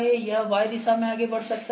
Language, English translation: Hindi, So, this can move in Y direction